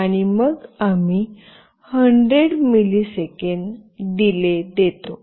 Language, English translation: Marathi, And then we give a delay of 100 millisecond